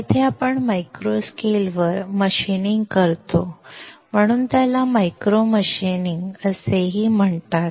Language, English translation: Marathi, Here, we are machining at micro scale so it is also called micro machining